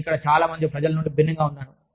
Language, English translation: Telugu, I was different, from most of the people, here